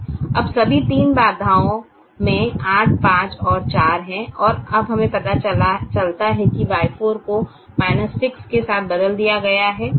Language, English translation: Hindi, now all the three constraints have eight, five and four, and now we realize that y four has been replaced with minus y six